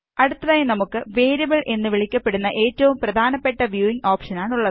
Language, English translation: Malayalam, Next we have the most important viewing option called the Variable